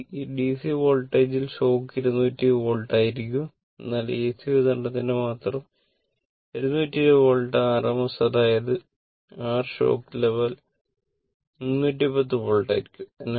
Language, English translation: Malayalam, I mean, in this DC voltage, the shock will be 220 volt only for AC supply 220 volt rms means your shock level will be 310 volts